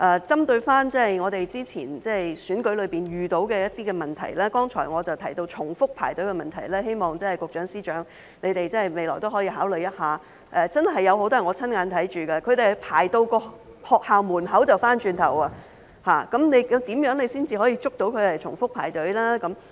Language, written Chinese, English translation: Cantonese, 針對過去選舉中遇到的問題，我剛才提到重複排隊的問題，希望局長、司長未來可以考慮一下，有很多是我親眼見到的，他們排到學校門口便回頭再排隊，那麼如何才能防止他重複排隊呢？, Regarding the problems encountered in previous elections such as repetitive queuing I mentioned just now I hope that the Secretary and the Chief Secretary can consider these problems in the future . I have seen many people already in the line turn around and queue up again once they reached the school gate so what can be done to prevent them from queuing up again?